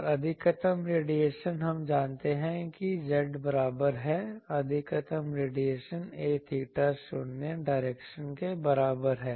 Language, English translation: Hindi, And maximum radiation, we know at z is equal maximum radiation is a theta is equal to 0 direction